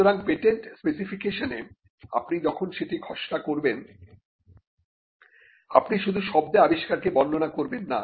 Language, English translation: Bengali, So, in a patent specification, when you draft a patent, you will not merely describe the invention in words